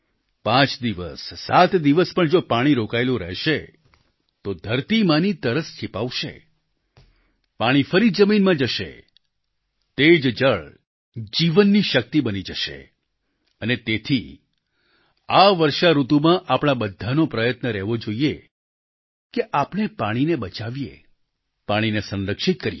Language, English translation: Gujarati, If the water is retained for five days or a week, not only will it quench the thirst of mother earth, it will seep into the ground, and the same percolated water will become endowed with the power of life and therefore, in this rainy season, all of us should strive to save water, conserve water